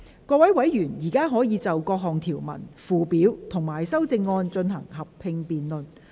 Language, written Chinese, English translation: Cantonese, 各位委員現在可以就各項條文、附表及修正案，進行合併辯論。, Members may now proceed to a joint debate on the clauses schedules and amendments